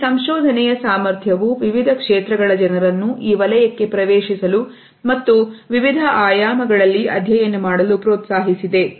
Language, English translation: Kannada, The potential of this research has encouraged people from various fields to enter this area and to study it in diverse fields